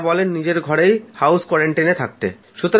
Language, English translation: Bengali, Sir, even if one stays at home, one has to stay quarantined there